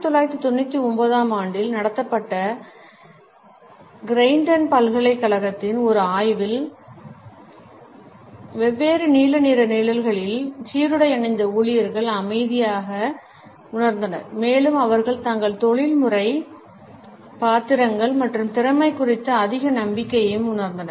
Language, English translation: Tamil, A study of Creighton University conducted in 1999 found that employees who were wearing uniforms in different shades of blue felt calm and they also felt more hopeful about their professional roles and competence